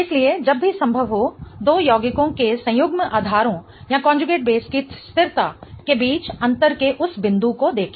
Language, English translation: Hindi, So, whenever possible look for that point of difference between the stability of the conjugate basis of two compounds